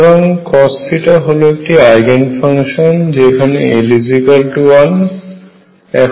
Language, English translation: Bengali, So, cosine theta is an Eigenfunction with l being 1